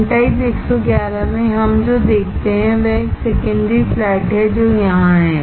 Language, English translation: Hindi, In n type 111 what we see is, there is a secondary flat which is here